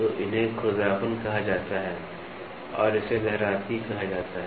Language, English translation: Hindi, So, these are called as roughness and this is called as waviness